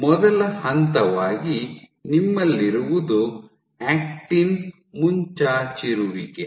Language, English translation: Kannada, As a first step what you have is actin protrusion